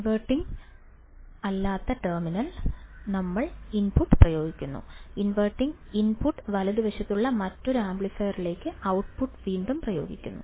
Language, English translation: Malayalam, We are applying the input at the non inverting terminal, and the output is again applied to an another amplifier at the non inverting input right